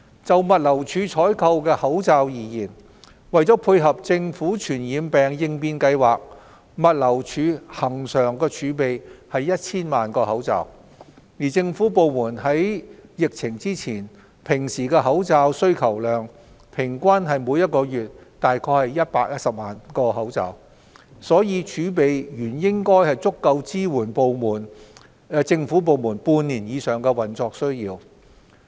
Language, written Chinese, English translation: Cantonese, 就物流署採購的口罩而言，為配合政府傳染病應變計劃，物流署恆常儲備 1,000 萬個口罩，而政府部門在平時的口罩需求量平均為每月約110多萬個，儲備原應足夠支援政府部門半年以上的運作需要。, As far as masks procured by GLD are concerned GLD maintained a regular stock of 10 million masks by virtue of the Governments preparedness and response plans for infectious diseases . As the average monthly demand for masks by government departments was normally about 1.1 million before the outbreak the stock should have been sufficient to support the operational needs of government departments for more than half a year